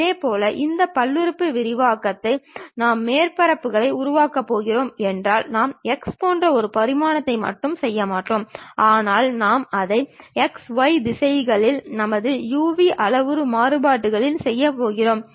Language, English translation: Tamil, Similarly, if we are going to construct surfaces this polynomial expansion we will not only just does in one dimension like x, but we might be going to do it in x, y directions our u, v parametric variations